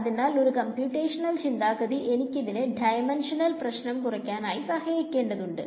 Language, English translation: Malayalam, So, from a computational point of view this is the point I want to make that it helps to reduce the dimensionality of a problem